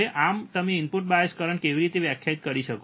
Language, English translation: Gujarati, Now, thus, how you can define input bias current